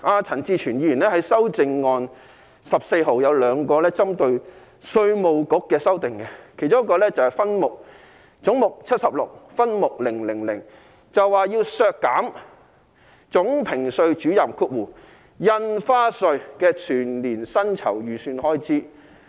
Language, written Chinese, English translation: Cantonese, 陳志全議員提出修正案編號14和 15， 均是針對稅務局的修訂，其中一個是總目 76， 分目 000， 要求削減稅務局總評稅主任的全年薪酬預算開支。, 14 and 15 proposed by Mr CHAN Chi - chuen target the Inland Revenue Department IRD . One of the amendments concerns head 76 subhead 000 seeking to cut the estimated expenditure on the annual emoluments of the Chief Assessor Stamp Office of IRD . I do not know how IRD has offended Mr CHAN Chi - chuen